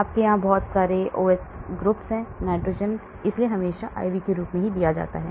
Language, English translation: Hindi, You have so many OH groups here, nitrogen so it is always given as IV